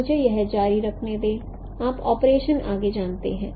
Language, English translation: Hindi, So let me continue this operation further